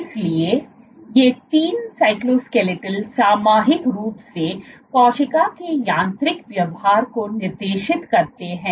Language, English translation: Hindi, So, these three cytoskeletons collectively dictate the mechanical behavior of the cell